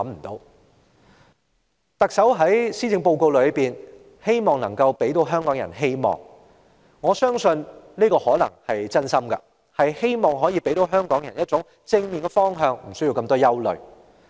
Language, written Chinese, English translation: Cantonese, 特首在施政報告表示，希望帶給香港人希望，我相信她可能真心希望可以給香港人一個正面的方向，無須太多憂慮。, In the Policy Address the Chief Executive says that she wishes to bring hopes to the people of Hong Kong . I believe she may sincerely hope that she will set a positive direction for the people of Hong Kong so that they do not have to worry too much